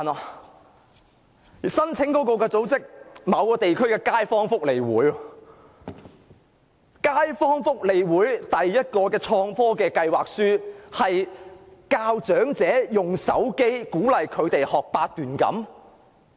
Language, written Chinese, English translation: Cantonese, 此外，該項目的申請組織是某地區的街坊福利事務促進會，旨在教育長者利用手機學習八段錦。, In addition the organization that has applied for funding for the project is a neighborhood welfare advancement association in a certain local district and its aim is to educate the elderly on how to use their cell phones to practice Baduanjin